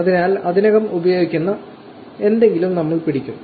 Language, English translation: Malayalam, So, we will stick to something which is already being used